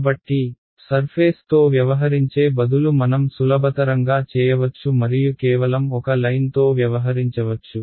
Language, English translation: Telugu, So, instead of dealing with the surface we can make life simpler and just deal with a line